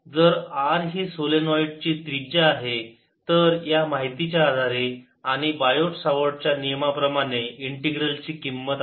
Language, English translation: Marathi, if r is the radius of the solenoid, then on the basis of this fact and and bio savart law, the value of the integral